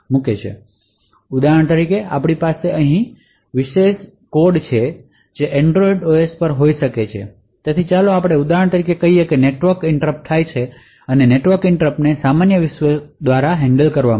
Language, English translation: Gujarati, So, for example we have privileged code over here could be at Android OS so let us say for example that a network interrupt occurs and a network interrupts are configured to be handle by the normal world